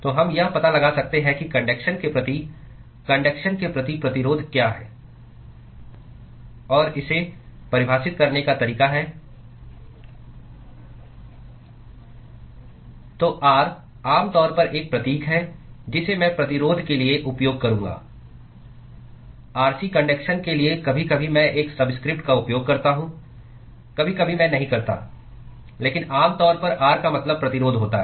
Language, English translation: Hindi, So, we can find out what is the resistance offered to towards conduction towards conduction and the way it is defined is So, R is generally is a symbol I will use for resistance, Rc for conduction sometimes I use a subscript, sometimes I do not, but generally R means the resistance which is involved